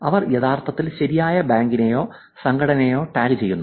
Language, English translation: Malayalam, They are actually tagging the right bank; they are tagging the right organization